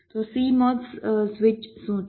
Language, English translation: Gujarati, so what is a cmos switch